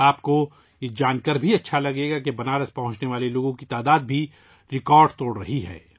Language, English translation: Urdu, You would also be happy to know that the number of people reaching Banaras is also breaking records